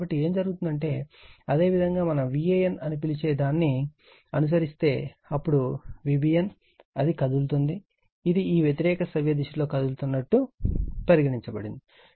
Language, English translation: Telugu, So, what will happen is if we follow the your what we call the this V a n, then V b n, it is moving it is say moving like these anti clockwise direction right